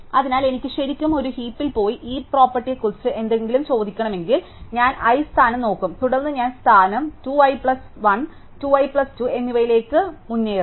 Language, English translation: Malayalam, So, therefore, if I want to actually go to a heap and ask something about the heap property, then I will just look at the position i, then I will jump ahead to position 2 i plus 1 and 2 i plus 2